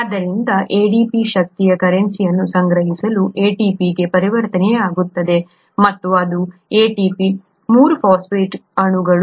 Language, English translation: Kannada, So ADP getting converted to ATP to kind of store up the energy currency and which is ATP 3 phosphate molecules